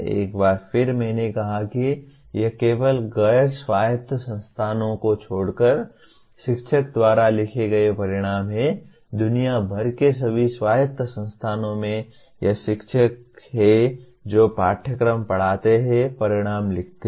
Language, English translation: Hindi, Once again as I said it is only the outcomes are dominantly written by the teacher except in non autonomous institutions, in all autonomous institutions around the world it is the teacher who teaches the course, writes the outcomes